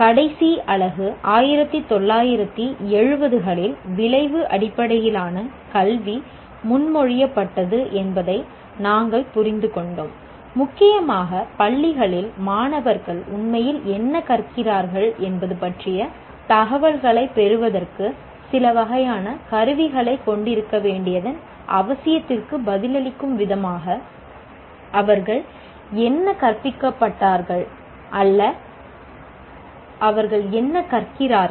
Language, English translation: Tamil, In the last unit, we understood that outcome based education was proposed way back in 70s, and mainly in response to the need to have some kind of instruments to obtain information on what students are actually learning across schools